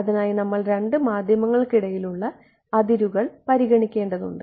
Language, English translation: Malayalam, So for that we have to consider the interface between two media